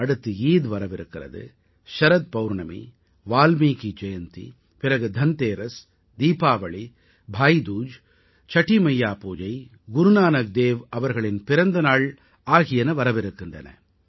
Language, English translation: Tamil, There is Eid, Sharad Poornima, Valmiki Jayanti, followed by Dhanteras, Diwali, Bhai dooj, the Pooja of Chatthi Maiyya and the birth anniversary of Guru Nanak Dev ji…